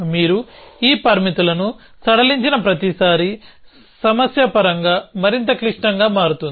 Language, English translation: Telugu, Every time you relax this constraints, the problem becomes more complex in terms